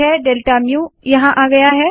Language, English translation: Hindi, Now delta mu has come there